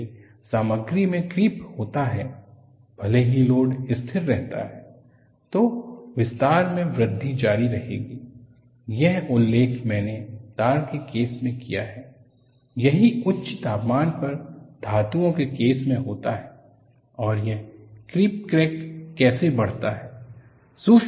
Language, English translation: Hindi, If the material creeps, even though the load remains constant, the extension will continue to increase; that is what I mentioned that, you come across in the case of a tar, this happens in the case of metals at high temperatures and how does a creep crack growths